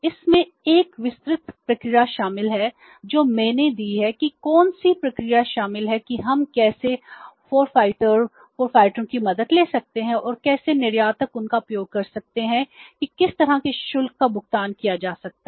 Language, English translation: Hindi, I have given that what procedure is involved how we can take the help of the forfeiters and how the exporters can make use of them, what kind of the charges can be paid